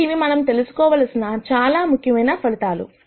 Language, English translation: Telugu, So, these are important results that we need to know